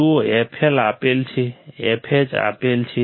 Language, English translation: Gujarati, See f L is given, f H is given